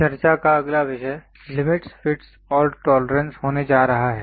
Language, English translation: Hindi, The next topic of discussion is going to be Limits, Fits and Tolerances